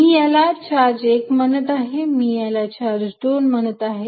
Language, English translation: Marathi, I am calling this charge 1, I am calling this charge 2